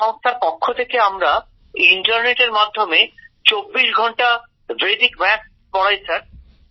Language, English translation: Bengali, Under that organization, we teach Vedic Maths 24 hours a day through the internet, Sir